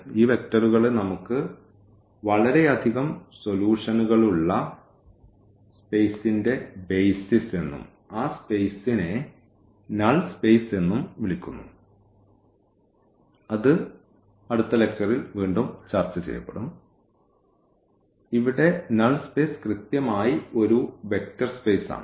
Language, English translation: Malayalam, And, these vectors are called basis of the space where we have so many solutions there and that space is also called the null space which again we will be discussed in the next lecture yeah exactly here the null space is a vector space